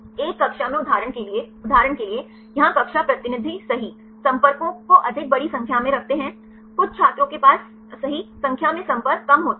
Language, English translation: Hindi, For example in a class; for example, here class representative right keep contacts large more number of contacts right some students they have less number of contacts right